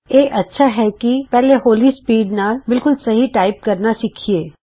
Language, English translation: Punjabi, It is a good practice to first learn to type accurately at lower speeds